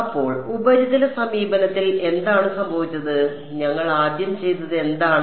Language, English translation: Malayalam, So, what happened in the surface approach, what was the first thing that we did